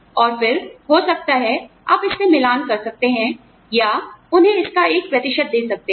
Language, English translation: Hindi, And then, maybe, you can match it, or give them, a percentage of it